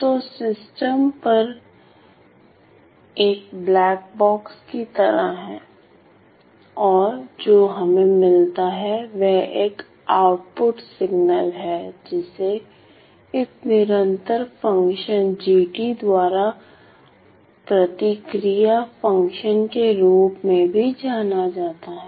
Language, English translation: Hindi, So, the system is like a black box and what we get is an output signal or also known as the response function termed by this continuous function gt ok